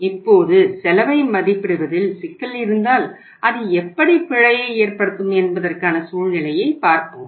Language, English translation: Tamil, Now, we would see a situation that if there is a problem in assessing the cost it means that will cause the error